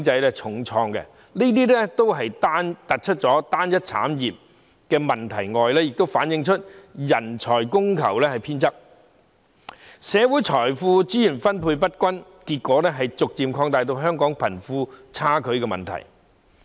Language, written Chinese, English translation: Cantonese, 這除了凸顯單一產業的問題外，也反映人才供求偏側，社會財富資源分配不均，結果逐漸加劇香港貧富差距的問題。, This not only highlights the problem of uniformity of industries but also reflects the skewed supply and demand of talents and the uneven distribution of social wealth and resources which have gradually aggravated the problem of wealth disparity in Hong Kong as a result